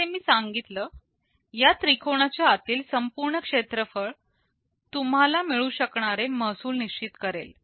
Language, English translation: Marathi, And as I mentioned the total area under this triangle will determine the total revenue that you can generate